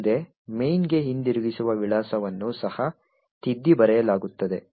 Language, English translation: Kannada, next the return address to main would also get overwritten